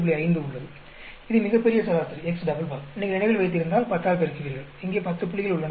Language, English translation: Tamil, 5 that is the grand average x double bar, if you remember square 10, because there are 10 points here right